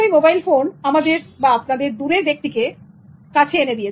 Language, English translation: Bengali, Mobile phone makes you closer to person far from you